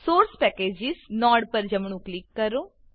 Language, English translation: Gujarati, Right click on the Source Packages node